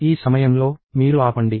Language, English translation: Telugu, At this point, you stop